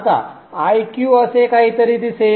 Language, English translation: Marathi, Now IQ will look something like this